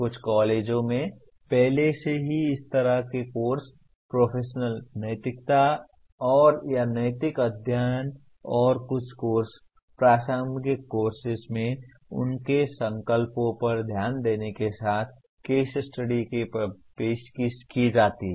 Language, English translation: Hindi, Some colleges already offer such a course, professional ethics and or case studies with focus on ethical issues and their resolutions into in some courses, relevant courses